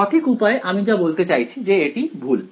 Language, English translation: Bengali, So, the correct way it I mean the so this is wrong